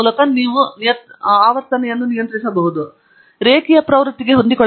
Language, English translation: Kannada, You can fit a linear trend